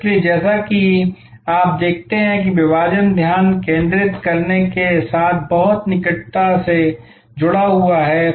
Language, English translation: Hindi, So, as you see therefore, segmentation is very closely link with focus